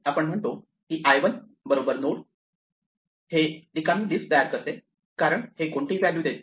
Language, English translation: Marathi, We say l1 is equal to node; this creates an empty list because it is not provided any value